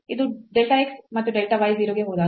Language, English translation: Kannada, So, this when delta x and delta y goes to 0